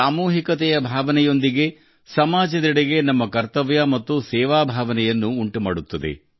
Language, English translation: Kannada, Along with the feeling of collectivity, it fills us with a sense of duty and service towards the society